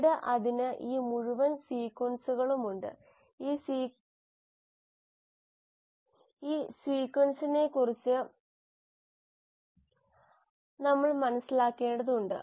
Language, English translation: Malayalam, And then it has this whole sequences, we need to make sense of this sequence